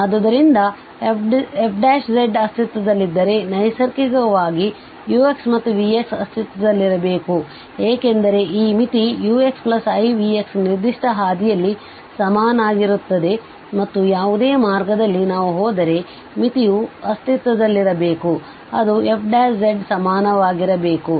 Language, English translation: Kannada, So if this f prime z exists, so naturally, this implies here also that the u x and v x has to exist because this limit is equal to u x plus i v x along a particular path and along any path if we go the limit should exist because we know that the limit exists it should be same f prime z